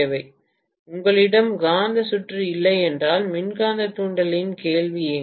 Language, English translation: Tamil, If you do not have magnetic circuit, where is the question of electromagnetic induction